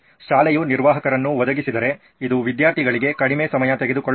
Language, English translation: Kannada, If the school provides the administrator, it is less time consuming for the students